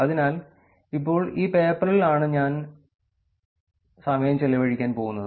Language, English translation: Malayalam, So, now, here is a paper that we will look at and spend some time on the paper